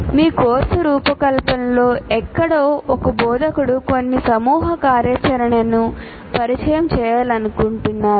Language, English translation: Telugu, For example, somewhere during your course design, you would want to introduce some group activity